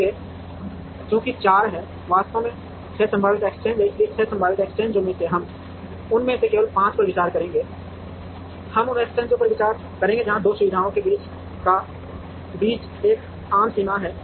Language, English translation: Hindi, So, since there are 4 there are actually 6 possible exchanges, but out of the 6 possible exchanges, we will consider only 5 of them, we will consider those exchanges where there is a common boundary between the 2 facilities